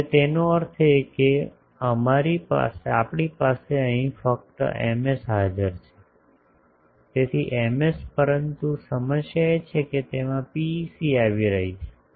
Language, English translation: Gujarati, Now so; that means, we have only Ms present here so Ms but the problem is it is having a PEC